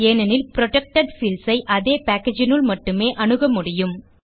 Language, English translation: Tamil, This is because protected fields can be accessed within the same package